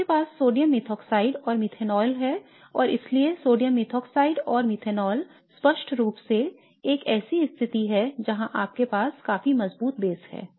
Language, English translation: Hindi, You have sodium methoxide and methanol and so sodium methoxide and methanol is clearly a situation where you have a fairly reasonably strong base present in the system